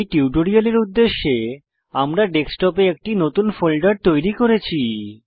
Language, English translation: Bengali, For the purposes of this tutorial: We have created a new folder on the Desktop